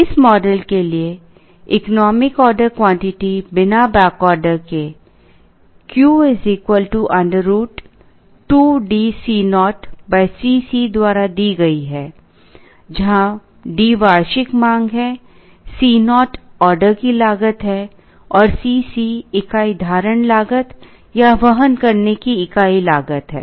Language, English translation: Hindi, The economic order quantity for this model, without back ordering is given by Q is equal to root over 2DC naught divided by C c; where D is the annual demand, C naught is the order cost and C c is the unit holding or carrying cost